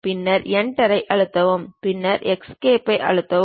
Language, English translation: Tamil, Then press Enter, then press Escape